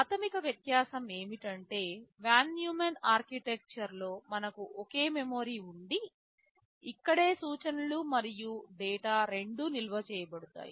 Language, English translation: Telugu, The basic difference is that in the Von Neumann Architecture we have a single memory where both instructions and data are stored